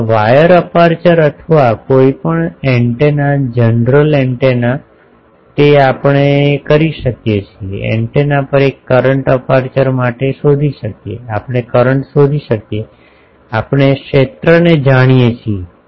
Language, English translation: Gujarati, Now, wires, apertures or any antenna general antenna they are the can we find an current on the antenna suppose for apertures, can we find the current we know the field